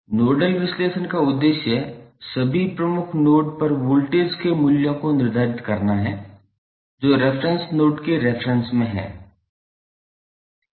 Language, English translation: Hindi, The nodal analysis objective is to determine the values of voltages at all the principal nodes that is with reference to reference with respect to reference node